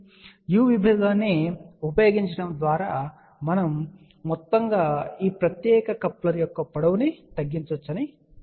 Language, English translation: Telugu, So, we can say that by using a u section, we can actually speaking reduce the overall length of this particular coupler